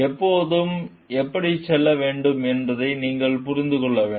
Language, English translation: Tamil, You have to understand, when to go for it and how